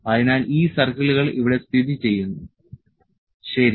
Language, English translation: Malayalam, So, these 6 circles are located here, ok